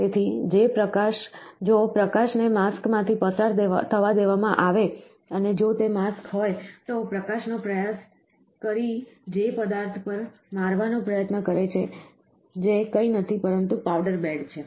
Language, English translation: Gujarati, So, if the light is allowed to pass through the mask and if that mask, try the thus light tries to hit at the object that is nothing, but a powder bed